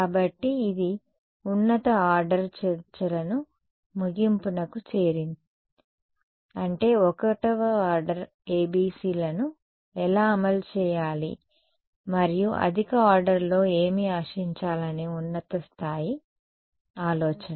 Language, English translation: Telugu, So, that concludes our discussions of higher order I mean how to implement 1st order ABCs and just high level idea of what to expect in a higher order